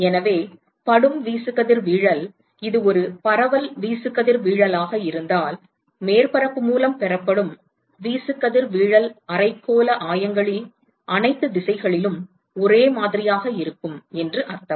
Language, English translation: Tamil, So, supposing if the incident irradiation if this is a diffuse irradiation, it means that irradiation that is received by the surface is same in all directions in the hemispherical coordinates